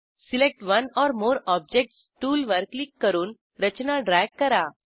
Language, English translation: Marathi, Click on Select one or more objects tool and drag the structures